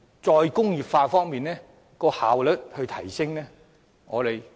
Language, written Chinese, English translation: Cantonese, "再工業化"如何可以提升效率？, How can re - industrialization be implemented more efficiently?